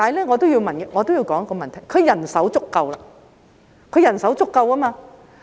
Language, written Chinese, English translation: Cantonese, 我也要提出一點，就是因為他們人手足夠。, I have to also raise the point that it is because they have enough staffing capacity